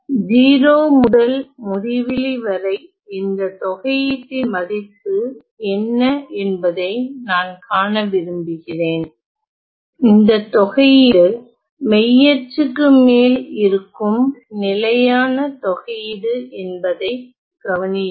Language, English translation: Tamil, And I want to see what is the value of this integral from 0 to infinity, notice that this integral is our standard integral which is over the real axis